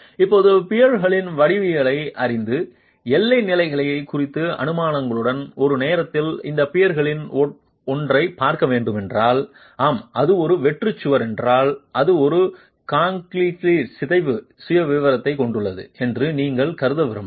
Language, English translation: Tamil, Now, we know that if we were to look at one of these peers at a time knowing the geometry of the peers and with assumptions on the boundary conditions, yes, if it is a blank wall you might want to assume that it has a cantilevered deformation profile